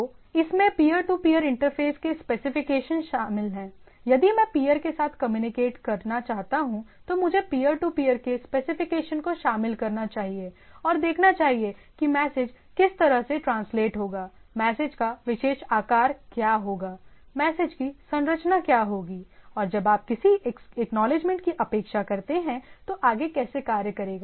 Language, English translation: Hindi, So, it includes specification of peer to peer interfaces if I want to communicate with peers, then I should include the specification for peer to peer, that what way the message will be there, what will be the particular size of the message, what will be the structure of the message and what you expect when whether you expecting an acknowledgement; if at all how things will be there, how will be and so on so forth right